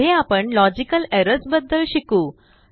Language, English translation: Marathi, Next we will learn about logical errors